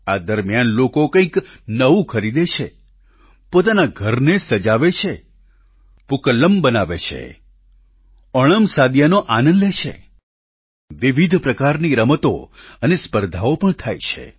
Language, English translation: Gujarati, During this period, people buy something new, decorate their homes, prepare Pookalam and enjoy OnamSaadiya… variety of games and competitions are also held